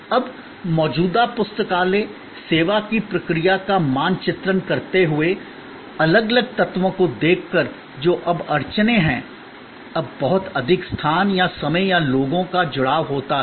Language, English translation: Hindi, Now, mapping the process of the existing library service, looking at the different elements that are now bottlenecks are now takes a lot of space or time or people engagement